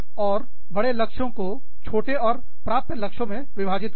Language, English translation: Hindi, Break up, larger tougher goals, into smaller achievable goals